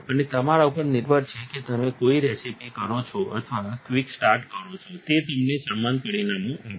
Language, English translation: Gujarati, It is up to you if you do a recipe or a quick start, it gives you the same results